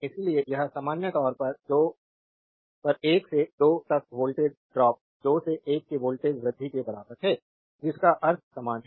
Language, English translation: Hindi, Therefore, this your in general a voltage drop from 1 to 2 is equivalent to the voltage rise from 2 to 1 meaning is same